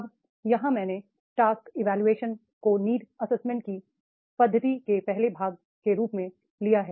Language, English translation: Hindi, Now here I have taken the job evaluation as the first part of the methods of the need assessment